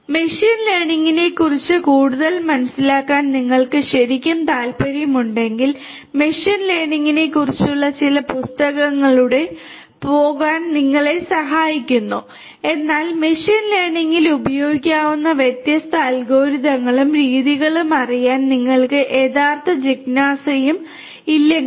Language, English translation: Malayalam, If you are indeed interested to get more understanding of machine learning you are encouraged to go through some book on machine learning, but you know unless you have you know real curiosity and curiosity to know the different algorithms and methodologies that could be used in machine learning only this much of information should be sufficient for you